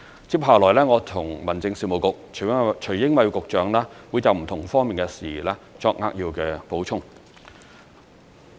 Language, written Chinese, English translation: Cantonese, 接下來，我和民政事務局會就不同方面的事宜作扼要補充。, Next the Home Affairs Bureau and I will supplement some key points from different aspects of the subject